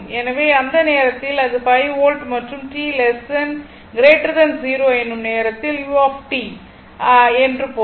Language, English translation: Tamil, So, at that time it is 5 volt and if t greater than 0 means u t is 1